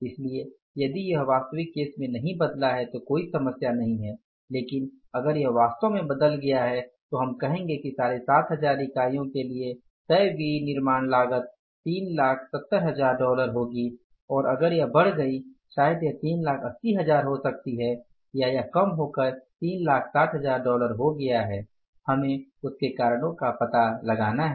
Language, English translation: Hindi, So, if that has not changed in case of the actual then there is no problem but if it has changed for the actual so we would say that for 7,500 units also the fixed manufacturing cost would be $370,000 and if it has gone up maybe $380,000 or it has come down to $360,000 so we can find out the reasons for that